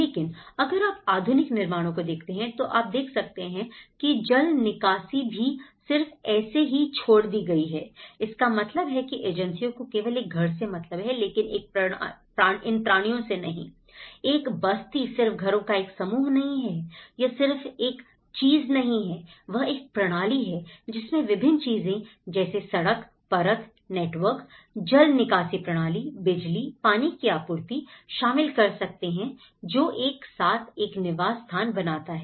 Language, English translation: Hindi, But if you look at the modern constructions, you can see even the drainage has left just alone like this, so which means the agencies are looked only at a house but not as a system of things, a settlement is not just only a group of houses, it is not just a thing, it is a system of things and it can incorporate the road layer network, the drainage systems, the electricity, the supply, water supply, so everything together that makes a habitat